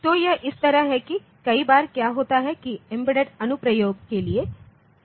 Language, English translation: Hindi, So, it is like this that, many times what happens is that for embedded application